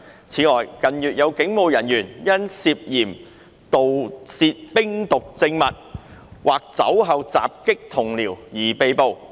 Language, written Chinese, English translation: Cantonese, 此外，近月有警務人員因涉嫌盜竊冰毒證物或酒後襲擊同僚而被捕。, In addition some police officers were arrested in recent months for allegedly stealing methamphetamine exhibits or assaulting their colleagues after drink